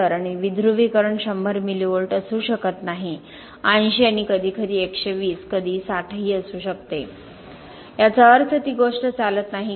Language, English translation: Marathi, And depolarization may not be 100 mV, may be 80 and sometimes 120, sometimes 60